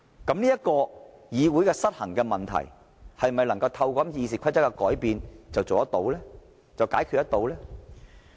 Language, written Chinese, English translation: Cantonese, 這個議會失衡的問題，是否能夠透過修訂《議事規則》便能解決呢？, Regarding the imbalance in this Council can it be addressed through these amendments to RoP?